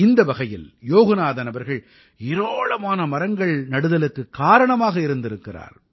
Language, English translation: Tamil, In this way, Yoganathanji has got planted of innumerable trees